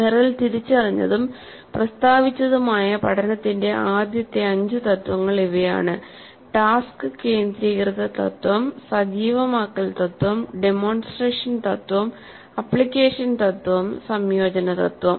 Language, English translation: Malayalam, So the five first principles of learning as identified and stated by Merrill, task centered principle, activation principle, demonstration principle, application principle, integration principle, integration principle